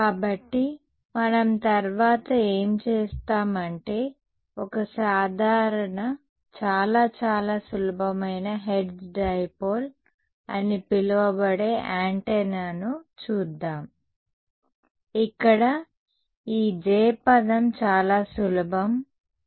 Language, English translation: Telugu, So, what we will do next is we look at a simple; very very simple antenna which is called a Hertz Dipole where this J term is extremely simple ok